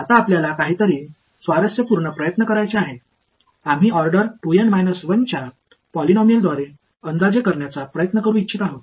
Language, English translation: Marathi, Now, we want to try something interesting, we want to try to approximate it by a polynomial of order 2 N minus 1